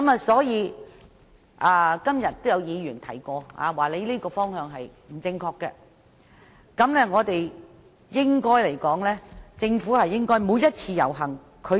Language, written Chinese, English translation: Cantonese, 所以，今天也有議員指出他這個方向不正確，政府應正視每一次遊行。, Thus some Members have pointed out that his direction is incorrect and that the Government should attach importance to each and every protest